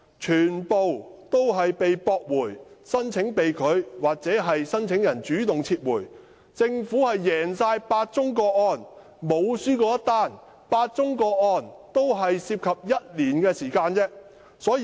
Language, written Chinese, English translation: Cantonese, 這些個案的申請或被拒或由申請人主動撤回，政府在8宗個案中全部勝訴，該等個案也只持續不超過1年的時間。, The applications concerning such cases were either rejected or withdrawn by the applicants on their own initiative and the Government won all the eight cases which lasted no more than one year